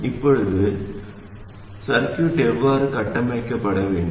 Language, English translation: Tamil, Now, how should the circuit be configured